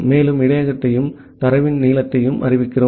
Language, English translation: Tamil, We are declaring the receive buffer and the length of the data